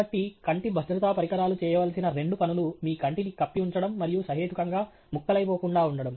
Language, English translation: Telugu, So, therefore, the two things that the eye safety equipment has to do is to cover your eye and also be reasonably shatter proof